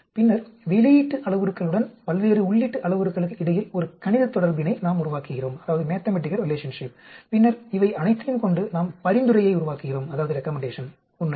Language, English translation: Tamil, Then, we develop mathematical relation between various input parameters with the output parameter and then we formulate recommendation because of all these actually